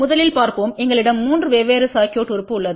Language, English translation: Tamil, First let us just see, we have 3 different circuit element